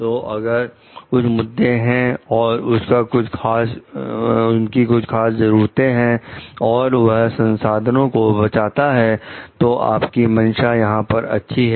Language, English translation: Hindi, So and if, there are certain issues and according to their specific needs and it saves resources to intention here is fine